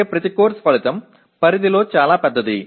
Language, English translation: Telugu, That means each course outcome is very very somewhat big in scope